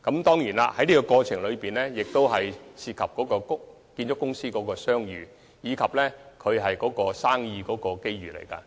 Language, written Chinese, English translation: Cantonese, 當然，在這個過程中，涉及建築公司的商譽，亦關乎他們生意上的機遇。, This procedure does not only concern the goodwill of construction companies but also their business opportunities